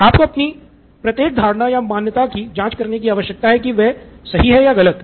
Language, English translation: Hindi, You need to check each one of them to see if they are right or wrong